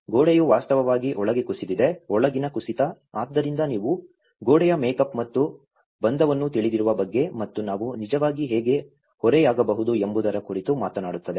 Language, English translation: Kannada, The wall has actually collapsed inside, the inward collapse, so that actually talks about you know the wall makeup and bonding and even how we can actually make a slant